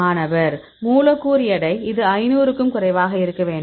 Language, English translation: Tamil, Molecular weight; it should be less than 500